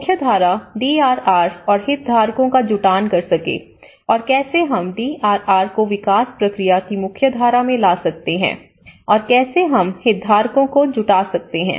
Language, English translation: Hindi, Mainstreaming DRR and mobilization of stakeholders; so how we can mainstream the DRR into the development process and how we can mobilize the stakeholders